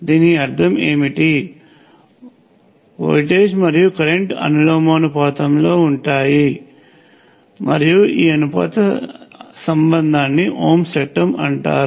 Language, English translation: Telugu, What does this mean, the voltage is proportional to the current and this proportionality relationship is known as ohm’s law